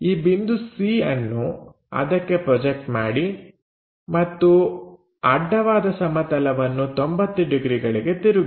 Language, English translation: Kannada, Then, project this point A on to horizontal plane, then rotate it by 90 degree